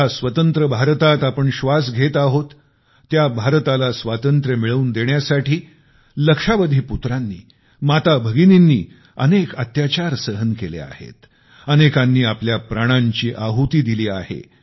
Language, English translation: Marathi, The India that we breathe freely in was liberated by millions of worthy sons and daughters who underwent numerous tortures and hardships; many even sacrificing their lives